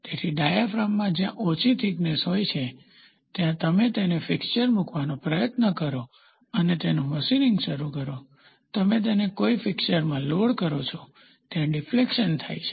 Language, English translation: Gujarati, So, in diaphragm they are all thin thickness, so when you try to put it in a fixture and start machining it, moment you load it in a fixture, the deflection happens